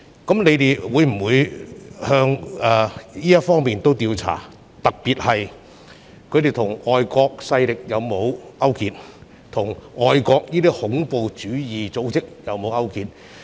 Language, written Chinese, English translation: Cantonese, 我想問局長會否循這方面調查，特別是他們有否與外國勢力或外國恐怖主義組織勾結？, I would like to ask the Secretary if he will investigate along this line particularly whether they have colluded with foreign forces or overseas terrorist organizations